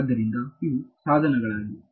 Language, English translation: Kannada, So, these are the tools